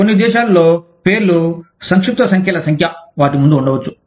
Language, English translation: Telugu, In some countries, the names may have, number of abbreviations, in front of them